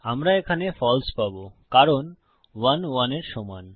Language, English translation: Bengali, Well get False here because 1 is equal to 1